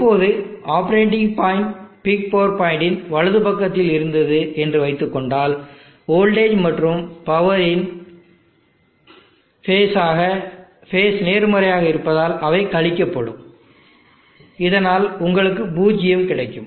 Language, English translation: Tamil, Now if suppose the operating point was on the right side of the peak power point the phases of the voltage and power are opposite they will subtract and you will have 0